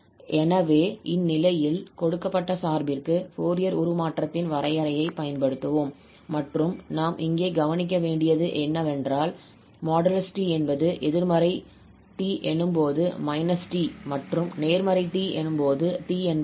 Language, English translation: Tamil, So, in this case, again, we will apply the definition of the Fourier Transform over this given function and what we observe because again this here we have this absolute value of t which says that it is minus t when this t is negative and t when t is positive